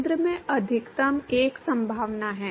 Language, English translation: Hindi, Maximum at the center that is one possibility